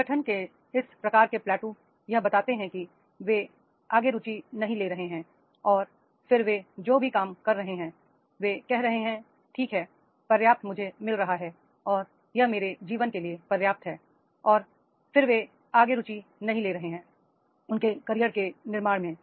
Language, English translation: Hindi, This type of the play two in the organizations, they are not taking interest further and then whatever the job they are doing they say, okay, enough this much I am getting and this is enough for my life and then they are not further interested in building their career